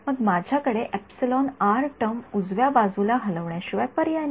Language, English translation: Marathi, Then I have no choice, but to move the epsilon r term to the right hand side right